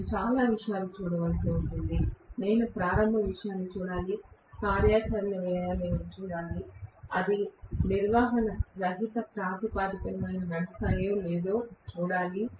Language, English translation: Telugu, I will have to look at several things, I have to look at initial cost, I have to look at operational cost, I have to look at whether they will run on a maintenance free basis